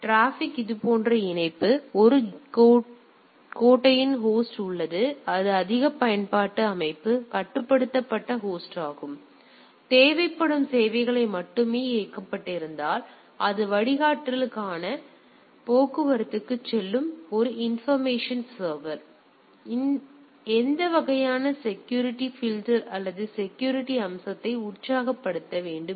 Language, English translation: Tamil, So, the traffic is connection like this sorry; so, there is a bastion host which is more controlled system the controlled host; where the services which are only needed are enabled the it goes to that traffic for filtering there is a information server which says that what sort of security filtering or security feature needs to be energized